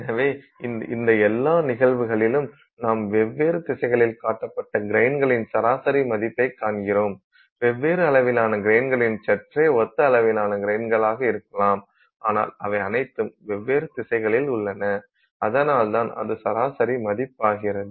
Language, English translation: Tamil, So, in all these cases you are seeing an averaged value of grains pointed in all different directions, different sized grains maybe somewhat similarly sized grains but they are all in different directions and that is why it becomes an averaged value